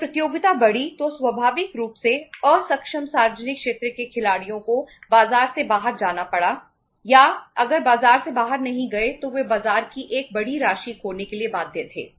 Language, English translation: Hindi, When the competition increased then naturally the inefficient public sector players had to go out of the market or if not to go out of the market they were bound to lose a sizeable amount of the market